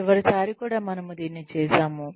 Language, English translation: Telugu, We did this also, last time